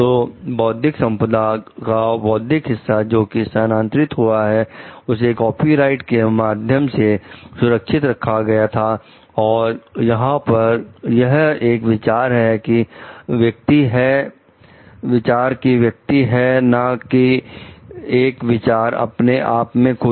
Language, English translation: Hindi, So, the intellectual part of the intellectual property, which is transformed like which is protected by the copyright over here is the expression of the idea not the idea itself